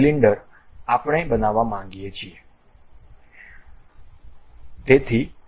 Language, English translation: Gujarati, Cylinder, we would like to construct